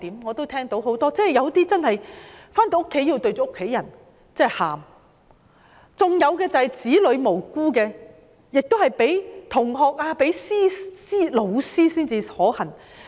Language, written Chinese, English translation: Cantonese, 我們聽說有些警員在回家後對着家人哭，有些警員的無辜子女在學校被同學及甚至老師欺凌。, We have heard that some police officers cried in front of their family members when they got back home and the innocent children of some police officers were bullied by their fellow classmates and even by their teachers at school